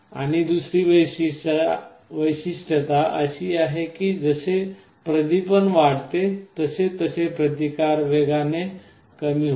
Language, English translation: Marathi, And the other property is that as the illumination increases the resistance decreases exponentially